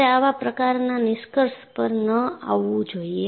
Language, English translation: Gujarati, You should not come to such kind of a conclusion